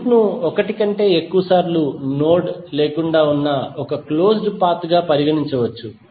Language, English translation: Telugu, Loop can be considered as a close path with no node passed more than once